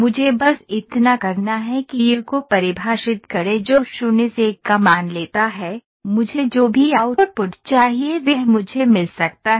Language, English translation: Hindi, All I have to do is, define ‘u’ which takes a value 0 to 1, I can get whatever output I want